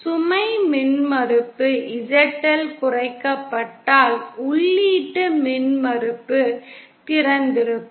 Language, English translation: Tamil, If the load impedance ZL shorted, input impedance will appear to be open